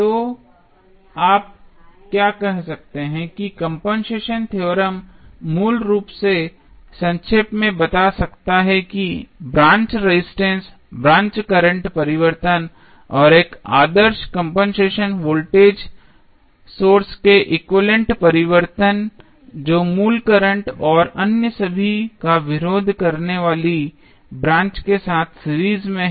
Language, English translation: Hindi, So, what you can say the compensation theorem can basically summarized as follows that with the change of the branch resistance, branch current changes and the changes equivalent to an ideal compensating voltage source that is in series with the branch opposing the original current and all other sources in the network being replaced by their internal resistance